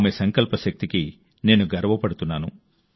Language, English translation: Telugu, I am proud of the strength of her resolve